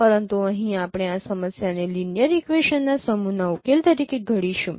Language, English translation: Gujarati, But here we will formulate this problem as a solution of a set of linear equations